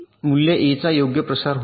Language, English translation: Marathi, so the value of a is getting propagated, right